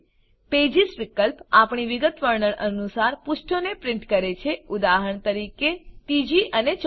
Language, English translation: Gujarati, Pages option prints the pages according to our specification, say for example, 3 4